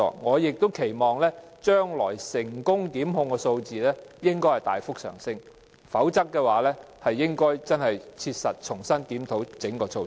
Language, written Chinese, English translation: Cantonese, 我期望將來成功檢控的數字能夠大幅上升，否則，當局應該切實重新檢討整個措施。, I expect a significant rise in the number of successful prosecutions in future or else the authorities should review the measure afresh